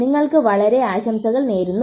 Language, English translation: Malayalam, Wish you very good luck, okay